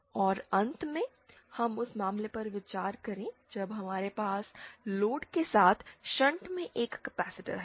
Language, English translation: Hindi, And finally let us consider the case when we have a capacitor in shunt with the load